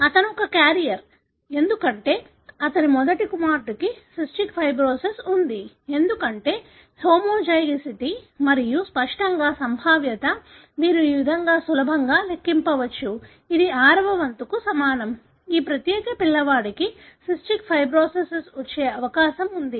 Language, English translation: Telugu, He is a carrier because his first son had cystic fibrosis, because of the homozygosity and obviously, the probability is you can easily calculate this way, which is equal to one sixth, is the probability that this particular kid would have or develop cystic fibrosis